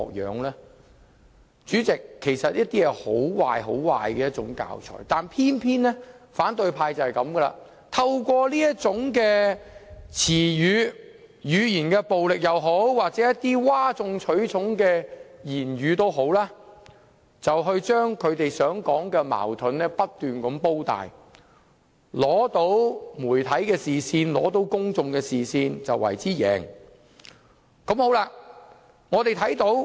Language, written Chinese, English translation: Cantonese, 代理主席，這是很壞的教材，但偏偏反對派就是這樣，透過這種詞語、語言暴力或譁眾取寵的言論，把他們口中的矛盾不斷"煲大"，吸引到媒體及公眾視線，便為之贏。, But this is how opposition Members behave . Through such words verbal violence or sensational comments they keep blowing up what they refer to as conflicts . They think they will win if they manage to catch the attention of the media and the public